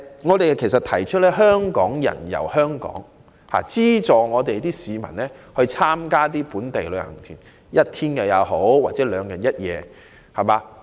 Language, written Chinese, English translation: Cantonese, 我們提出"香港人遊香港"的構思，希望政府資助市民參加本地旅遊團，即使是一天或兩日一夜也好。, We have put forward the idea of Hong Kong people touring around Hong Kong and urged the Government to promote local tours among local residents by subsidizing part of the fees of these group tours be they one - day tours or two - day trips